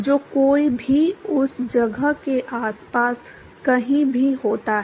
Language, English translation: Hindi, Anyone who happens to be anywhere around that place